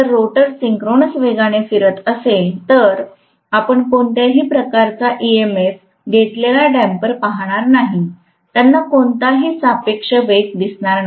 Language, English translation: Marathi, If the rotor is rotating at synchronous speed, you are not going to see the damper having any induced EMF at all; they are not going to see any relative velocity